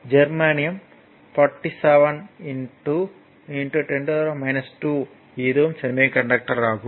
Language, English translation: Tamil, And germanium 47 into 10 to the power minus 2 it is a semiconductor